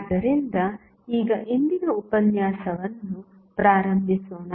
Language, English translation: Kannada, So, now, let us start the today's lecture